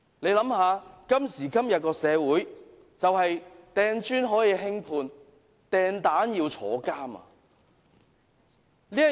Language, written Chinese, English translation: Cantonese, 大家想一想，在今時今日的社會，擲磚頭可以輕判，擲蛋卻要坐監。, Come to think about it . In society today a person hurling bricks may be given a lenient sentence but another one throwing eggs has to face imprisonment